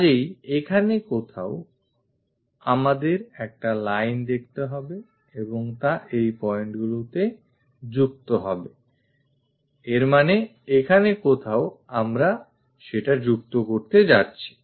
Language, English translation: Bengali, So, somewhere here we have to see a line and that line joins at this points; that means, here somewhere we are supposed to join that